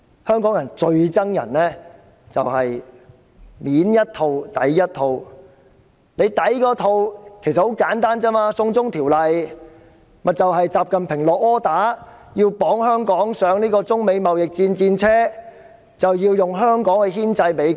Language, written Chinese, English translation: Cantonese, 香港人最討厭就是表裏不一，"送中條例"背後的理由很簡單，就是習近平"落 order"， 要把香港綁上中美貿易戰的戰車，以香港牽制美國。, Duplicity is what Hongkongers hate most . The reason behind the China extradition bill is very simple XI Jinping has made an order to tie Hong Kong up on the chariot of the China - United States trade war aiming to pin down the United States with Hong Kong